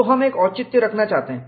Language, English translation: Hindi, So, we want to have a justification